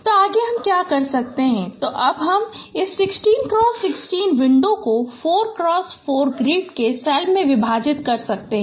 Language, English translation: Hindi, So next what we do that now you can divide this 16 cross 16 window into a 4 cross 4 grid of cells